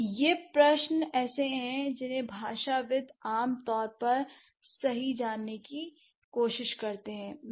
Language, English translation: Hindi, So, these are like the questions which linguists generally try to explore, right